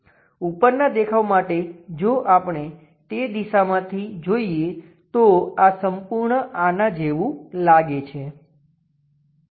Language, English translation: Gujarati, For the top view; if we are looking from that direction this entirely looks like that